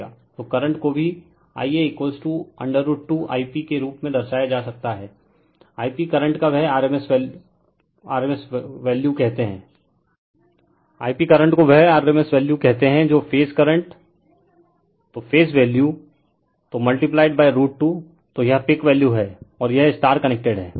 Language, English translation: Hindi, So, current also can be represented as i a is equal to root 2 I p, I p is the your what you call rms value of the current that is your phase current right, so phase value, so multiplied by root 2, so this is your peak value right, and it is star connected